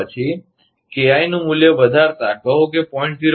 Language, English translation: Gujarati, Then, increase the value of KI is equal to say, 0